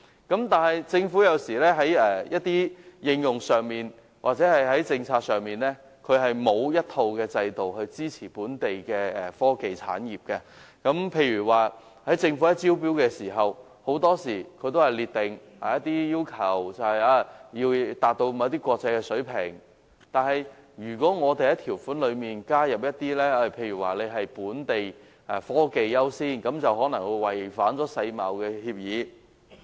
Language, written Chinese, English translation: Cantonese, 然而，政府有時候在應用上或政策上並沒有一套制度支持本地的科技產業，例如政府在招標時，很多時候會列明一些要求，包括要達到某些國際水平，但如果加入本地科技優先的條款，卻可能違反世界貿易組織的協議。, However sometimes the Government does not have a system to support the local technology industry in respect of technology application or in its policies . For instance when inviting tenders the Government may often set out some requirements such as meeting certain international standards but if a condition is included to require that locally - developed technologies be given priority that may constitute a violation of the World Trade Organization agreements